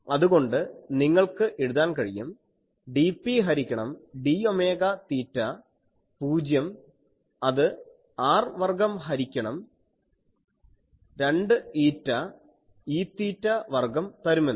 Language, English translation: Malayalam, So, you can write that dP by d omega theta 0 that will give you r square by 2 eta E theta square